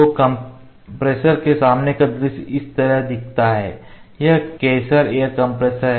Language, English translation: Hindi, So, the front view of the compressor is looks like this, it is Kaeser air compressor